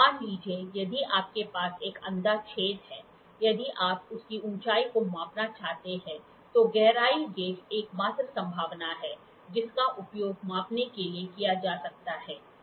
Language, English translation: Hindi, Suppose, if you have a blind hole, you have a blind hole, if you want to measure the height of it depth gauge is the only possibility, which can be used to measure, ok